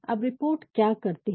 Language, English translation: Hindi, Now, what do these reports do